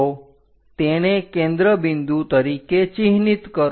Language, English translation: Gujarati, So, mark this one as focus point